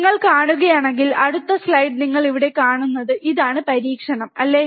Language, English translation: Malayalam, And if you see, in the next slide you see here this is the experiment, right